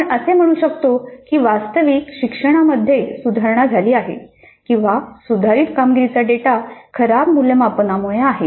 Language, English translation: Marathi, Can we say that actually the learning has improved or is the improved performance data because of poorer assessments